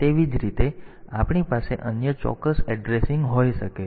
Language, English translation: Gujarati, Similarly, we can have some other absolute addressing